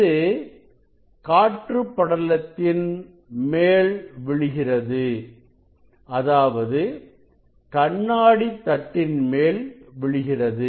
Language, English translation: Tamil, Through the through the air film and it will fall on the it will fall on the glass plate